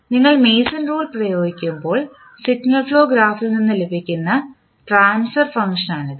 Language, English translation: Malayalam, So, this is the transfer function which you will get from the signal flow graph when you apply the Mason’s rule